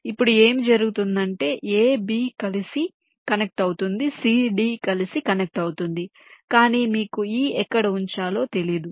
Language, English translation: Telugu, now what happens is that this a, b gets connected together, c, d gets connected together, but you do not have any where to place e